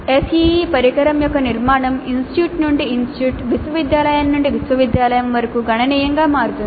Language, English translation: Telugu, Now the structure of the ACE instrument varies considerably from institute to institute, university to university